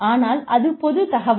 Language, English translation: Tamil, But, it is public information